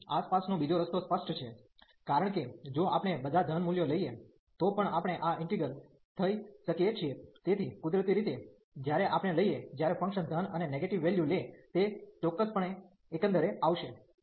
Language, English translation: Gujarati, The other way around this is obvious, because if we taking all the positive value is still we can get this integral, so naturally when we take the when the function takes positive and negative values, it will certainly converge